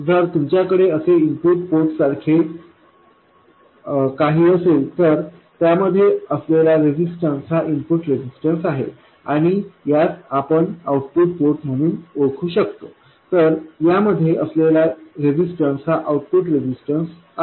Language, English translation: Marathi, If you have something that you can identify as the input port, then the resistance looking into that is the input resistance and something that is identified as the output port, resistance looking into that is the output resistance